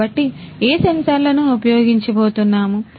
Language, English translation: Telugu, So, what sensors are going to be used